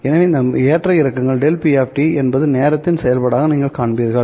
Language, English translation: Tamil, So, this is the fluctuations delta p of t that you would see as a function of time